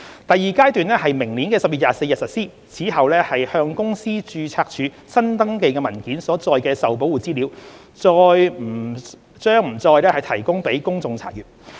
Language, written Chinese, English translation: Cantonese, 第二階段於明年10月24日實施，此後向公司註冊處新登記的文件中所載的受保護資料，將不再提供予公眾查閱。, Upon the launch of Phase 2 on 24 October 2022 Protected Information contained in documents newly filed for registration with the Companies Registry will not be provided for public inspection